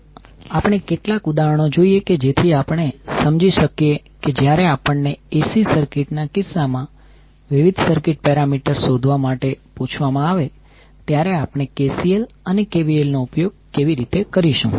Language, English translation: Gujarati, So let's see a few of the examples so that we can understand how we will utilize KCL and KVL when we are asked to find the various circuit parameters in case of AC circuit